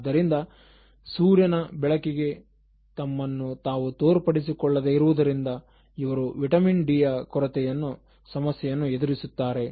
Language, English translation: Kannada, So, they are never exposed to sun, so they can confront this problem of vitamin D deficiency